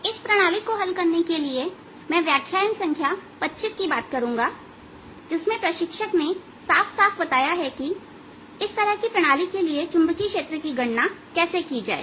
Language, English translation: Hindi, so that for solving this system, ah, i will refer to lecture number twenty five, in which ah instructor has clearly stated how to calculate the magnetic field for such systems